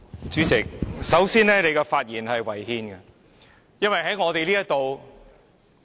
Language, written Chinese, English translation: Cantonese, 主席，首先，你的發言是違憲的。, President first of all what you said is unconstitutional